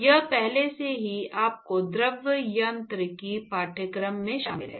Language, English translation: Hindi, That it is already covered in your fluid mechanics course